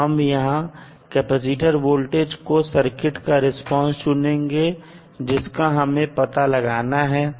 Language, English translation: Hindi, We have to select the capacitor voltage as a circuit response which we have to determine